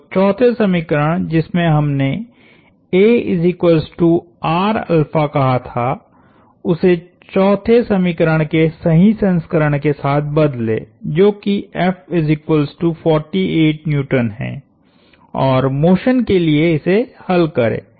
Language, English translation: Hindi, So, replace the 4th equation, where we said a equal to R alpha with the correct version of the 4th equation, which is F equal to 48 Newtons and solve for the motion